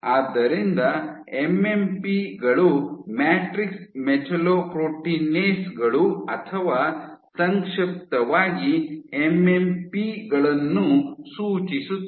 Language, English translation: Kannada, So, MMPs stands for matrix metallo proteinases or MMPs in short